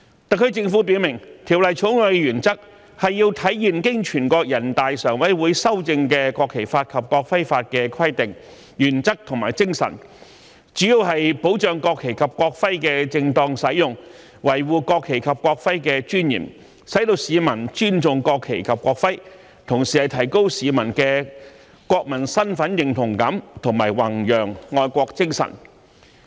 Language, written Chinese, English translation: Cantonese, 特區政府表明，《條例草案》的原則是要體現經全國人大常委會修正的《國旗法》及《國徽法》的規定、原則和精神，主要是保障國旗及國徽的正當使用，維護國旗及國徽的尊嚴，使市民尊重國旗及國徽，同時提高市民的國民身份認同感和弘揚愛國精神。, As expressly stated by the SAR Government the principle of the Bill is to reflect the provisions principles and spirit of the National Flag Law and the National Emblem Law both of which have been amended by the Standing Committee of the National Peoples Congress essentially safeguard the proper use of the national flag and national emblem and preserve their dignity so as to promote respect for the national flag and national emblem while enhancing the sense of national identity among citizens and promoting patriotism